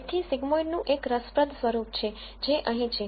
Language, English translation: Gujarati, So, the sigmoid has an interesting form which is here